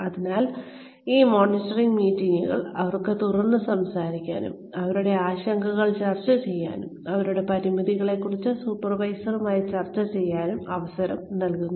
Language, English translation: Malayalam, So, these monitoring meetings give them, a chance to open up, to discuss their concerns, to discuss their limitations, with the supervisor